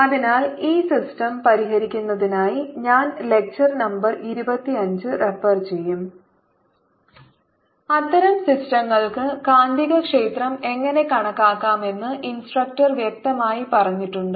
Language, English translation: Malayalam, so that for solving this system, ah, i will refer to lecture number twenty five, in which ah instructor has clearly stated how to calculate the magnetic field for such systems